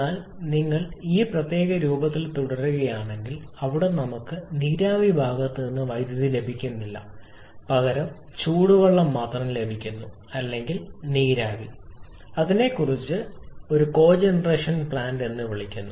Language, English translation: Malayalam, But if you stay in this particular form where we are not getting electricity from the steam side really getting only hot water or steam then we call it a cogeneration plant